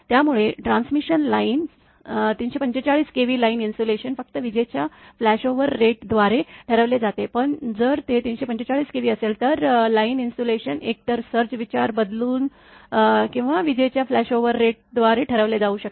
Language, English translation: Marathi, So, for transmission lines say up to 345 the kV line insulation is determined by lightning flashover rate only, but if it is at 30, 345 kV the line insulation may be dictated by either switching surge consideration or by the lightning flashover rate